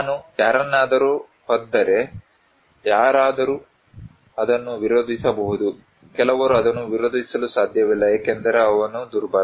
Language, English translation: Kannada, If I kick someone, then somebody can resist it, somebody cannot resist it because he is weak